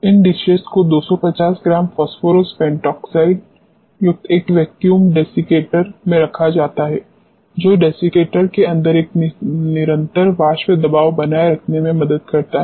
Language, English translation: Hindi, These dishes are placed in a vacuum desiccator containing 250 grams of phosphorus pentoxide, which helps in maintaining a constant vapour pressure inside the desiccator